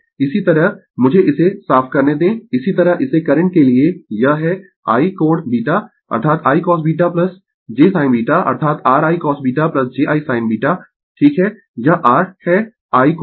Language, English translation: Hindi, Similarly, let me clear it similarly for current it is I angle beta that is I cos beta plus j sin beta that is your I cos beta plus j I sin beta right this is your I angle beta